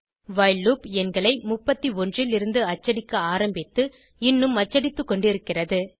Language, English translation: Tamil, We see that while loop prints numbers from 31 and is still printing